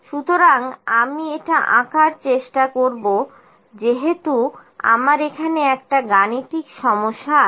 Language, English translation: Bengali, So, I will try to plot this as was, so I have numerical problem here